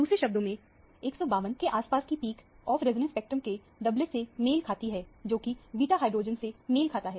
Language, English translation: Hindi, In other words, the peak around 152 corresponds to a doublet in the off resonance spectrum, which corresponds to the beta hydrogen